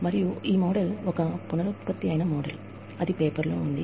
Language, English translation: Telugu, And, the model is a, reproduction of the model, that is in the paper